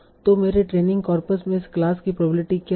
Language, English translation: Hindi, So this is what is the probability of this class in my training corpus